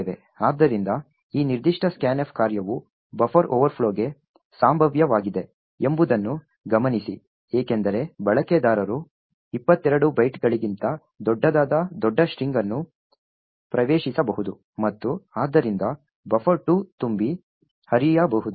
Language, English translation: Kannada, So, note that this particular scanf function is a potential for a buffer overflow the reason is that the user could enter a large string which is much larger than 22 bytes and therefore buffer 2 can overflow